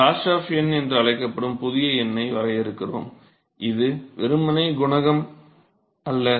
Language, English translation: Tamil, So, therefore, we define a new number called Grashof number which is not simply the coefficient